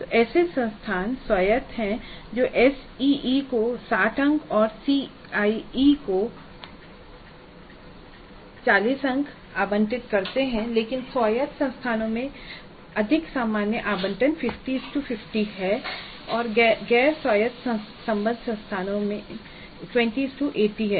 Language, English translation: Hindi, So there are institutes autonomous which allocate 60 marks to a CE and 40 to CAE but a more common allocation in autonomous institute is 50 50 50 and non autonomous affiliated institutes is 2080